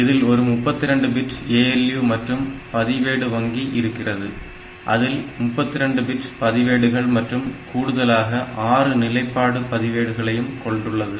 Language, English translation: Tamil, So, there is a 32 bit ALU that is there and there is a register bank that has got 31, 32 bit registers plus 6 status registers